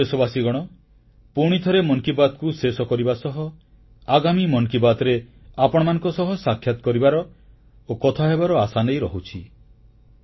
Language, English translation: Odia, Once again, while concluding this episode, I wait most eagerly for the next chapter of 'Mann Ki Baat', of meeting you and talking to you